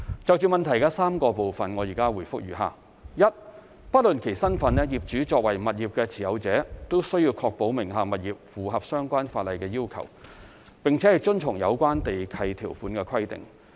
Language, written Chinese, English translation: Cantonese, 就質詢的3個部分，現答覆如下：一不論其身份，業主作為物業的持有者均須確保名下物業符合相關法例要求，並遵從有關地契條款規定。, My reply to the three parts of the question is as follows 1 Any property owner being the one who owns the property regardless of his or her identity must ensure that the property under his or her name complies with the relevant laws and the terms of the relevant land lease